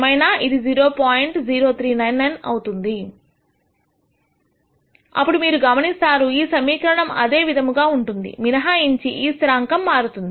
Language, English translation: Telugu, 0399, then you would notice that the equation form remains the same except this constant has changed